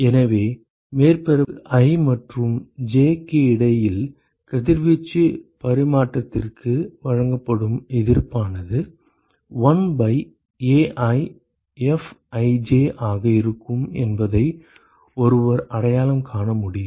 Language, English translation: Tamil, So, one could identify that the resistance that is offered for radiation exchange between surface i and j, would be 1 by AiFij ok